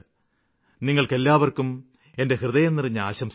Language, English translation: Malayalam, My greetings to all of you for the same